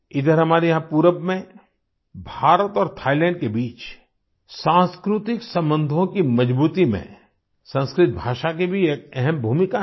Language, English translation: Hindi, Sanskrit language also plays an important role in the strengthening of cultural relations between India and Ireland and between India and Thailand here in the east